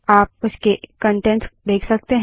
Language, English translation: Hindi, Now you can see its contents